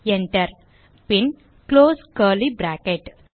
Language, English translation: Tamil, Enter and close curly bracket